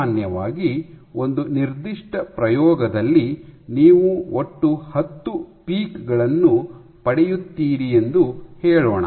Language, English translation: Kannada, So, typically let us say you get a total of 10 peaks in a given experiment